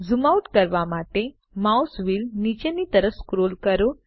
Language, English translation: Gujarati, Scroll the mouse wheel downwards to zoom out